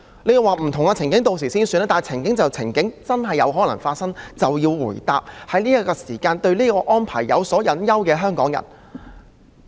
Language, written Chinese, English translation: Cantonese, 你會說屆時再算，但情況既然真的有可能發生，政府便要回答在此時對這項安排有所隱憂的香港人。, You might say we can cross the bridge when we come to it but since such scenarios might happen the Government has to address squarely the concerns of the people of Hong Kong about the arrangement